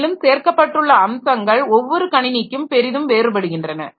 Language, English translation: Tamil, And so the features that are included vary greatly across systems